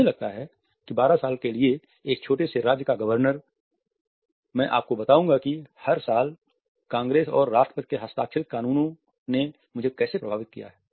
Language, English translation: Hindi, I think governor of a small state for 12 years, I will tell you how it’s affected me every year congress and the president signed laws that makes a makeup